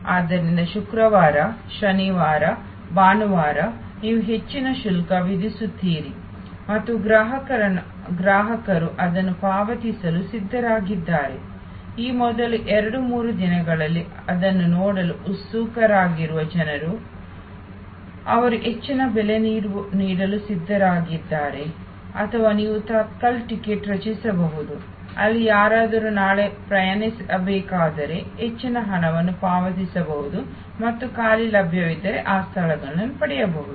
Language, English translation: Kannada, So, Friday, Saturday, Sunday you charge higher and customer's are ready to pay that, people who are eager to see it during those first two three days, they are prepared to pay higher price or you can create a tatkal ticket, where somebody who are to travel tomorrow can pay higher and get those seats if there available vacant